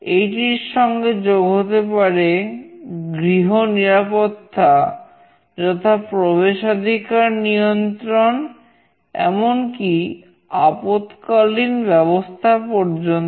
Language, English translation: Bengali, It can also involve home security like access control and alarm system as well